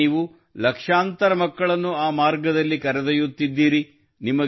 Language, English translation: Kannada, And today you are taking millions of children on that path